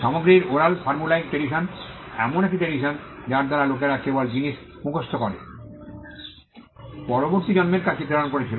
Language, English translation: Bengali, The overall formulaic tradition was a tradition by which people just memorized things and passed it on to the next generation